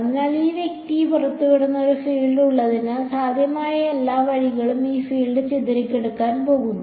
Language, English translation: Malayalam, So, that there is a field is emitted by this guy this field is going to get scattered by the object in all possible ways right